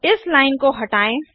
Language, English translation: Hindi, Let us remove this line